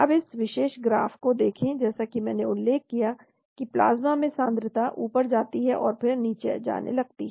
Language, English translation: Hindi, Now look at this particular graph, as I mentioned the concentration in the plasma goes up and then it starts going down